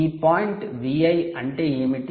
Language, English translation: Telugu, what is this point v in